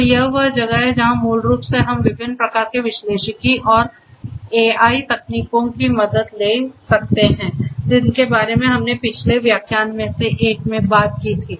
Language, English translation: Hindi, So, this is where basically we can take help of the different types of analytics and AI techniques that we talked about in one of the previous lectures